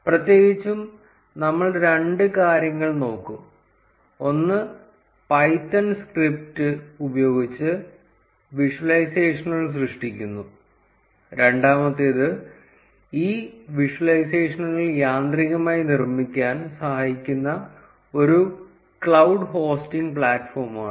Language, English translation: Malayalam, In particular, we will look at two things; one is creating visualizations using a python script, and second is a cloud hosting platform that helps in automatically building these visualizations